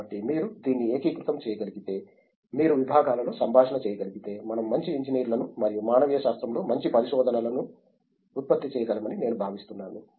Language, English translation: Telugu, So, I think if you can integrate this, if you can have a dialogue across disciplines I think we can produce better engineers and better research in humanities